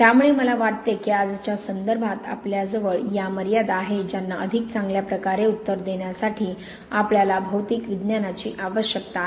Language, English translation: Marathi, So I think it is very much in today's context that we have these, these limitations that we need material science to better answer them